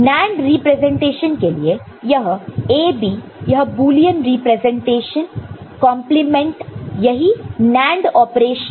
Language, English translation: Hindi, While the NAND representation this A, B this is the Boolean representation complemented that is what is the NAND operation over here